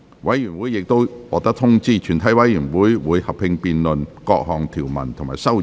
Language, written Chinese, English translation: Cantonese, 委員已獲得通知，全體委員會會合併辯論各項條文及修正案。, Members have been informed that the committee will conduct a joint debate on the clauses and amendments